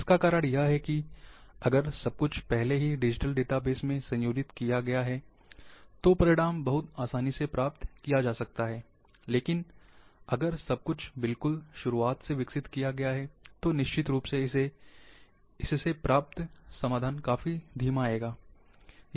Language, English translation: Hindi, The reason is because, if everything has already been organized in digital database, then the results can be achieved very easily, but if everything has been developed from the scratch; then definitely, the solutions will come quite slow